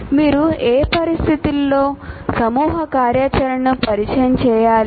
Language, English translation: Telugu, Under what condition should you introduce group activity